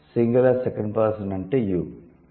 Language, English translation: Telugu, Singular second person is you